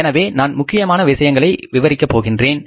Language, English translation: Tamil, So, I will just discuss important points